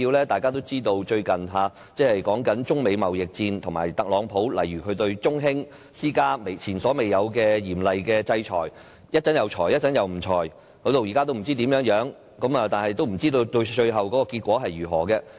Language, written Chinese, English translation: Cantonese, 大家也知道，最近爆發中美貿易戰，特朗普對中興通訊股份有限公司施加前所未有的嚴厲制裁，一會兒制裁，一會兒又取消制裁，現在也不知道怎樣，不知道最後結果為何。, As we all know a trade war between China and the United States has recently broken out . The trade sanction Donald TRUMP wants to impose on Zhongxing Telecommunication Equipment Corporation is of unprecedented severity but he has kept wavering between enforcement and abolition and we simply do not know what will happen at the end of the day